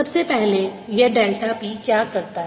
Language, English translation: Hindi, this is nothing but delta p